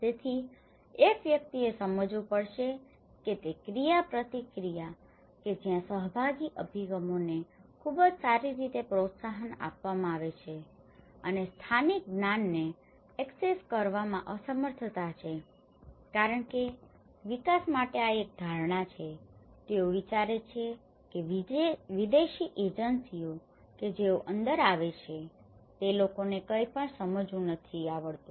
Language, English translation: Gujarati, So one has to understand that interaction that is where participatory approaches are very well encouraged and inability to access local knowledge because this is one perception to development they think that the foreign agencies whoever comes within that these people doesnÃt know anything one has to understand that they know many things one need to tap that resources